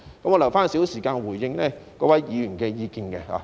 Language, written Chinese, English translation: Cantonese, 我會留少許時間回應各位議員的意見。, I will leave a little time for my response to Members views